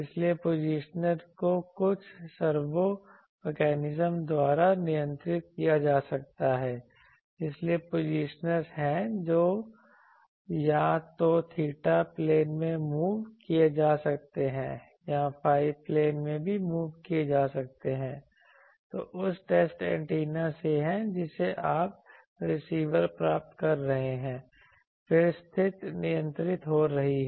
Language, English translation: Hindi, So, positioner can be controlled by some servo mechanism, so there are positioners which can be either move in theta plane or move in phi plane also; this is the from the test antenna you are getting the receiver then position is getting control